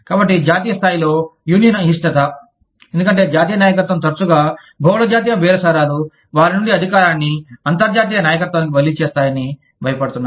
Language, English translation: Telugu, So, union reluctance at the national level, because the national leadership often fears that, multi national bargaining, will transfer power from them, to an international leadership